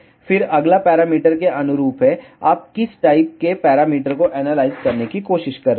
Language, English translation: Hindi, Then the next is corresponding to the parameter, which type of parameter you are trying to analyze